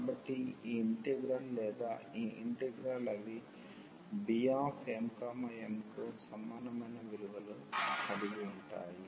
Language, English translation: Telugu, So, this integral or this integral they are the same having the same value as beta m, n